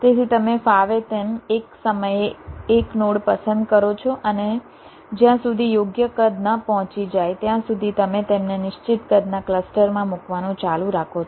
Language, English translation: Gujarati, this says that you have a set of nodes, so you randomly select the nodes one at a time, and you go on placing them into clusters of fixed size until the proper size is reached